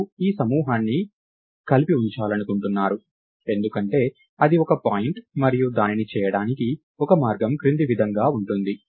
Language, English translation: Telugu, And you want to keep this group together, because thats what a point is and one way to do that is as follows